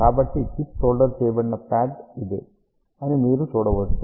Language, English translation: Telugu, So, you can see that this is the pad where the chip is soldered